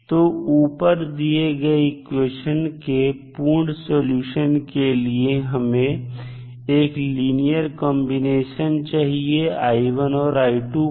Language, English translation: Hindi, So, for the complete solution of the above equation we would require therefore a linear combination of i1 and i2